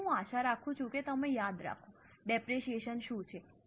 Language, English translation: Gujarati, So, I hope you remember what is depreciation